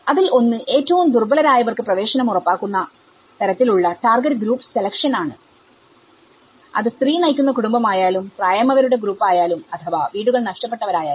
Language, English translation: Malayalam, One is the target group selection to ensure access to the most vulnerable, whether it is the women headed families or it is a elderly group or if they have lost their houses